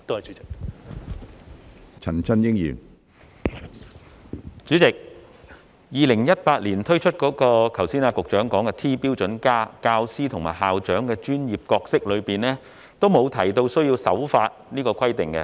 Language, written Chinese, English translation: Cantonese, 主席 ，2018 年推出了局長剛才說的 "T- 標準+"，但就教師和校長的專業角色方面，都沒有提到需要守法這個規定。, President the T - standard the Secretary has referred to a short while ago was launched in 2018 but there is no mention of the need to abide by the law as a requirement in respect of the professional roles of teachers and principals